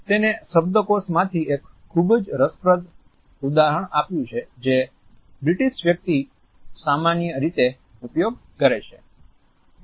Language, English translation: Gujarati, He has quoted a very interesting example from the vocabulary which a British person can normally use